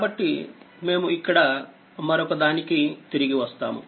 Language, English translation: Telugu, So, we will come back to this another one here